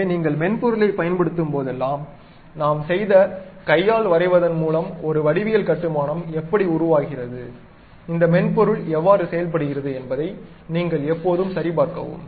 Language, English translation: Tamil, So, whenever you are using a software, you always go back check how a geometrical construction by hand drawing we have done, and how this software really works